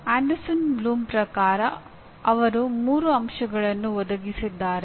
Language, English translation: Kannada, Now comes as per Anderson Bloom they provided 3 aspects